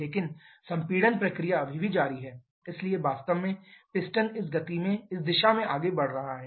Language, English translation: Hindi, But the compression process is still on so actually piston is moving in this direction